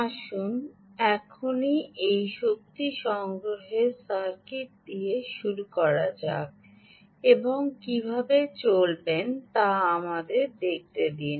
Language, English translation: Bengali, let us begin now, ah, with this energy harvesting circuit and let us see what are the